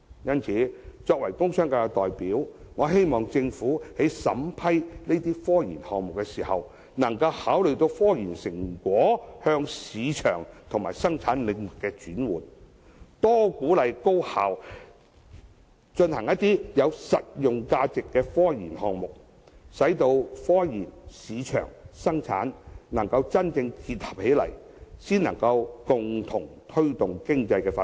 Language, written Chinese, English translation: Cantonese, 因此，作為工商界的代表，我希望政府在審批科研項目時，能考慮科研成果向市場和生產領域的轉換，多鼓勵高校進行有實用價值的科研項目，使科研、市場和生產能真正結合，共同推動經濟發展。, As the representative of the commercial and industrial sectors I hope that the Government will when considering the application of scientific research projects consider the possibility of commercialization and production of scientific research results and encourage higher education institutions to engage in scientific researches with practical applications so as to achieve the real integration of scientific research market and production and together they can promote economic development in Hong Kong